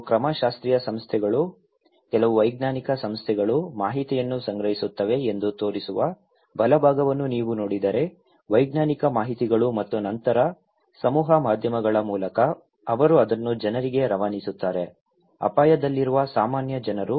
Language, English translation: Kannada, If you look into the right hand side that is showing that some methodological agency, some scientific bodies, they will collect information; scientific informations and then through the mass media, they pass it to the people; common people who are at risk